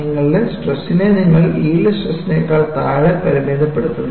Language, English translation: Malayalam, So, you limit your stresses, such that, they are well below the yield stress